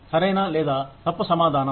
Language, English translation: Telugu, There is no right or wrong answer